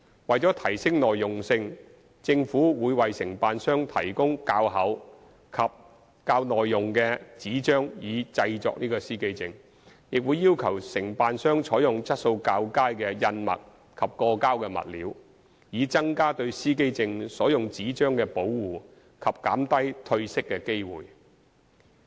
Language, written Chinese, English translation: Cantonese, 為提升耐用性，政府會為承辦商提供較厚及較耐用的紙張以製作司機證，亦會要求承辦商採用質素較佳的印墨及過膠物料，以增加對司機證所用紙張的保護及減低褪色的機會。, To enhance the durability of the plates the Government will provide the authorized agents with thicker and more durable paper for producing the plates and require the authorized agents to use better ink and lamination materials so as to increase the protection of the paper used for the plates and reduce the chance of colour fading